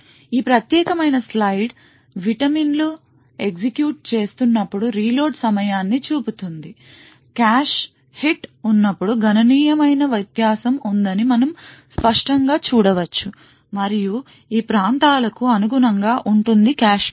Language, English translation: Telugu, This particular slide show the reload time as the vitamins executing, we can clearly see that there is significant difference when there is a cache hit which is corresponding to these areas over here when there is a cache miss